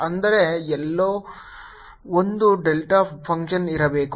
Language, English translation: Kannada, so that means there must be a delta function somewhere